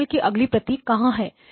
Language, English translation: Hindi, Where does the signal actually lie, the next copy of the signal